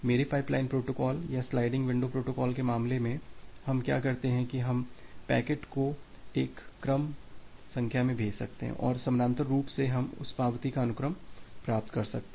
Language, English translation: Hindi, In case of my pipeline protocol or the sliding window protocol, what we do that we can send a sequence of packets and parallely we can receive the sequence of acknowledgement